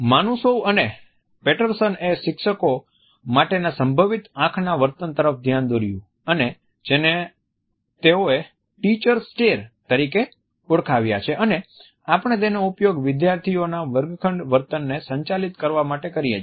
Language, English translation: Gujarati, Manusov and Patterson have reflected on the potentially important eye behavior for teachers which they have termed as the “teacher stare” and we often use it to manage the students class room behavior